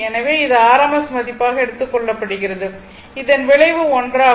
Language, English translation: Tamil, So, it is taken as rms value, and this this is resultant one, it is 13